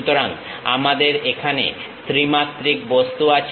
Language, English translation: Bengali, So, we have a three dimensional object here